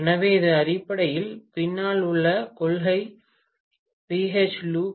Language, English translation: Tamil, So, this is essentially the principle behind BH loop, right